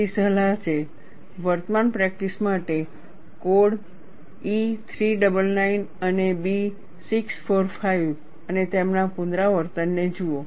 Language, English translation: Gujarati, So, the advice is, for current practice, look up codes E399 and B645 and their revisions